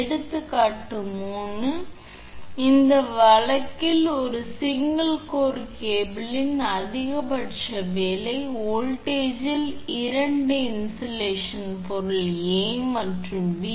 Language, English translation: Tamil, Example 3: In this case you find the maximum working voltage of a single core cable having two insulating material A and B